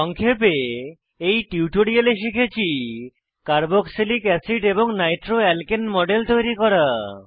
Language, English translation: Bengali, In this tutorial, we will learn to * Create models of carboxylic acid and nitroalkane